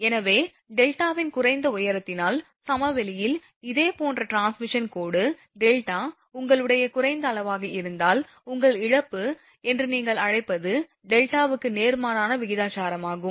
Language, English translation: Tamil, So, that is why that similar transmission line in plains due to the lower value of delta at high altitudes, if delta is your low then your, what you call that corona loss is proportional to inversely proportional to delta